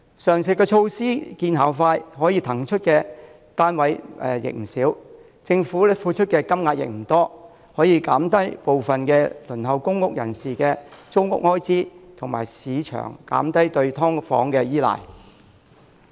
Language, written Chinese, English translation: Cantonese, 上述措施見效快，可騰出不少單位，政府付出的金錢也不多，既能降低部分輪候公屋人士的租屋開支，亦能減輕市場對"劏房"的依賴。, The above mentioned initiatives can free up many units with limited expenses to reduce the rental expenditures of some people on the public housing waiting list and the markets reliance on subdivided flats